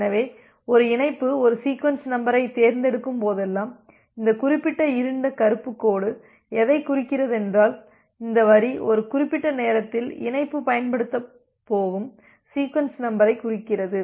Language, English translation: Tamil, So, what we see that whenever connection 1 connection selects one sequence number so this particular dark black line indicates, so this line indicates the sequence number that a particular connection is going to use with the respect of time